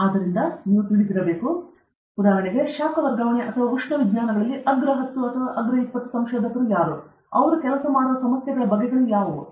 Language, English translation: Kannada, So, you should know, for example, the top ten, the top fifteen, the top ten or top twenty researchers in heat transfer or thermal sciences; what are the kinds of problem they working on now